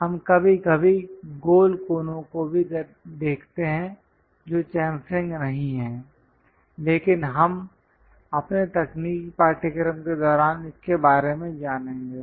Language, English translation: Hindi, We see sometimes rounded corners also that is not chamfering, but we will learn about that during our technical course